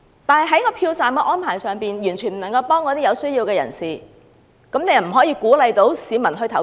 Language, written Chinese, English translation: Cantonese, 但是，票站安排對有需要人士完全沒有幫助，如何鼓勵市民投票？, Yet the arrangement at the polling station offers no help to people in need so how can the public be encouraged to vote?